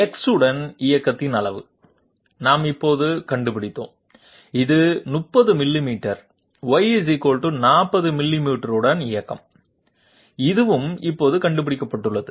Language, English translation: Tamil, Amount of movement along X, we found out just now, it is 30 millimeters, movement along Y = 40 millimeters, this also we have found out just now